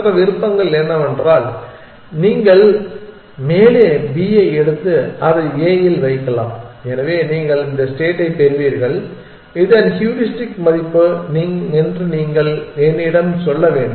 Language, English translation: Tamil, The other options are you can take b on top put it on a, so you will get this state and you must tell me that heuristic value of this